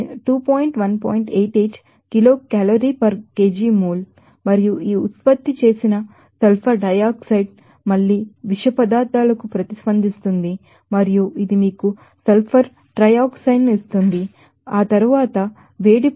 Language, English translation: Telugu, 88 kilo calorie per kg mole and this produced sulfur dioxide again will react to toxins and it will give you the sulfur trioxide and then heat reactions is will be you know that 46